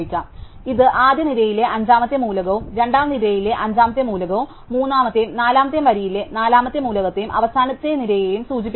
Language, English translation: Malayalam, So, we know it is the fifth element in the first row, the fifth element in the second row, the fourth element in the third and fourth row, and the second element the last row